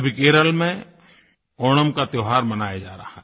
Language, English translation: Hindi, The festival of Onam is being celebrated in Kerela